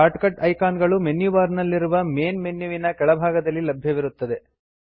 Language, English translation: Kannada, Short cut icons are available below the Main menu on the Menu bar